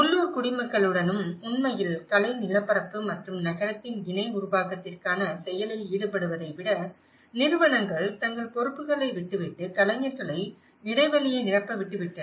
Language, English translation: Tamil, And with the local citizens and in fact, rather than fostering active engagement for co creation of the artistic landscape and the city, the institutions washed their hands on their responsibilities leaving the artists to fill the gap